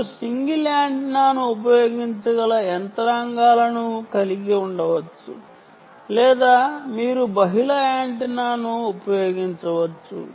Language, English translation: Telugu, you can have mechanisms where you can use single antenna or you can use multiple antenna